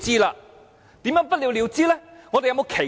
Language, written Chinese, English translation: Cantonese, 怎樣不了了之呢？, How would it fizzle out?